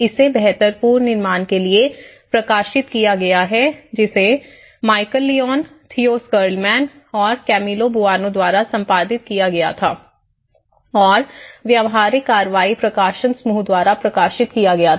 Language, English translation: Hindi, So this has been published in the built back better which was edited by Michal Lyons, Theo Schilderman, and with Camilo Boano and published by the practical action publishing group